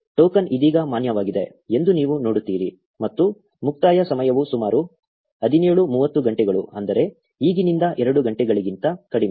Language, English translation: Kannada, You see that the token is valid right now and the expiration time is about 17:30 hours which is less than 2 hours from now